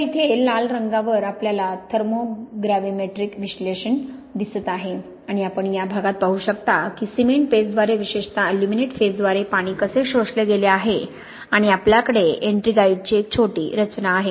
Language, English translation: Marathi, So here on the red we see a thermogravimetric analysis and you can see in this region here how water has been absorbed by the cement paste particularly by the aluminate phases and we have a small formation already of ettringite